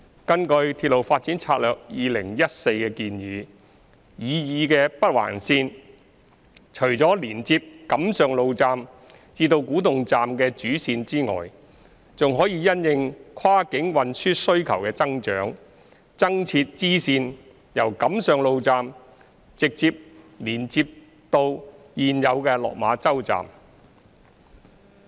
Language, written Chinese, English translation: Cantonese, 根據《鐵路發展策略2014》的建議，擬議的北環綫除了連接錦上路站至古洞站的主線外，還可因應跨境運輸需求的增長，增設支線由錦上路站直接連接至現有的落馬洲站。, According to the recommendations of the Railway Development Strategy 2014 besides the major railway line between the Kam Sheung Road Station and the new station at Kwu Tung a bifurcation may be added to the proposed Northern Link to directly connect the Kam Sheung Road Station and the existing Lok Ma Chau Station subject to the growth in the cross - boundary transport demand